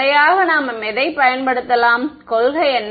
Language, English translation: Tamil, No, systematically what can we use, what is the principle